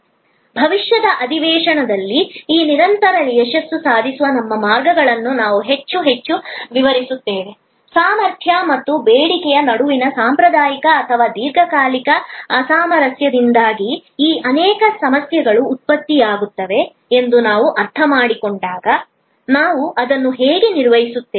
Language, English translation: Kannada, We will illustrate more and more, our ways to achieve these continuous success through in future sessions, when we understand that many of these problems are generated due to the traditional or perennial mismatch between capacity and demand, so how do we manage that